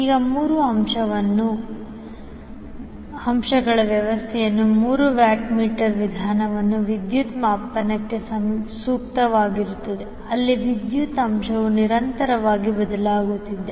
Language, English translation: Kannada, Now these three watt meter method is well suited for power measurement in a three phase system where power factor is constantly changing